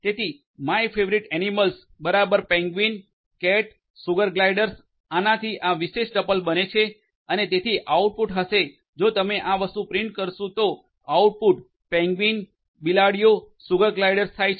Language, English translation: Gujarati, So, my favourite animals equal to penguins, cats, sugar gliders this will create this particular tuple and so the output will be is so if you execute this thing so output is going to be penguins, cats, sugar gliders